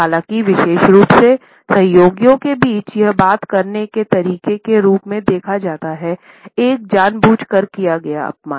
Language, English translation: Hindi, However, particularly among colleagues, it is seen as a way of talking down, a deliberate insult